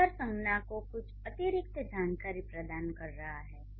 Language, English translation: Hindi, Beautiful is providing some extra information to the noun